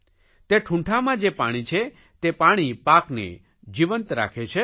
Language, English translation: Gujarati, The water in the stumps kept the crops alive